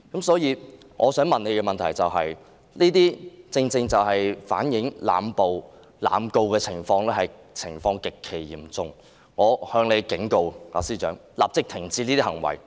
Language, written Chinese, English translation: Cantonese, 所以，上述種種正正反映濫捕、濫告的情況極其嚴重，我警告司長，立即停止這些行為。, Therefore all the above reflect exactly that the situation of arbitrary arrests and indiscriminate prosecutions is extremely serious . I warn the Secretary that she should stop these acts immediately